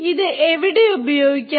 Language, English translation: Malayalam, Where can it be used